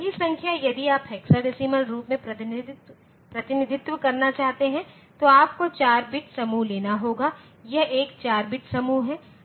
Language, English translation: Hindi, The same number if you want to represent in hexadecimal form then you have to take 4 bit group, this is one 4 bit group